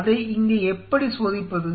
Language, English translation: Tamil, So, how to test it here is an example